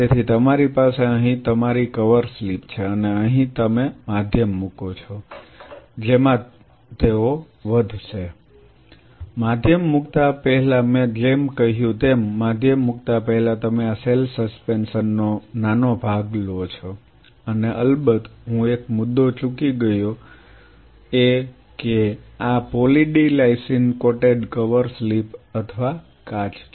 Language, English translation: Gujarati, So, you have, here is your cover slip and here you put medium in which they will grow, before putting medium I have said this before putting medium you take a small part of this cell suspension and and of course, I missed out on one point is these are poly d lysine coated cover slips or glass